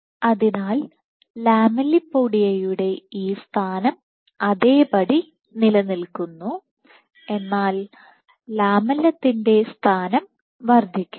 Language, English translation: Malayalam, So, it is not that the lamella this position of the lamellipodia remains the same rather the position of the lamellum increases